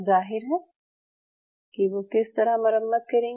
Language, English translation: Hindi, Obviously how they will repair